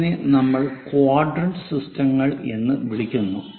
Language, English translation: Malayalam, then that is what we call one of the quadrant system